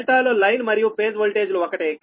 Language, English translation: Telugu, delta is line and phase voltage same right